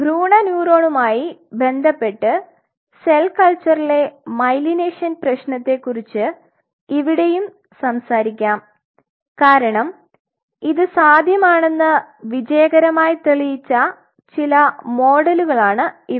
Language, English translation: Malayalam, But here also we will talk about the myelination problem with respect to the cell culture context with respect to embryonic neuron because these are some of the models which has been successfully demonstrated that it is possible